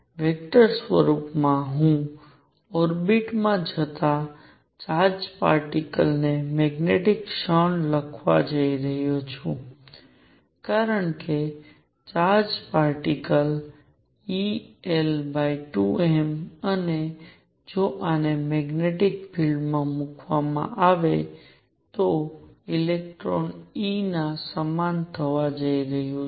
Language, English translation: Gujarati, In the vector form I am going to write magnetic moment of a charged particle going in an orbit is going to be equal to e of electron since the charged particle happens to be electron l over 2 m and if this is put in a magnetic field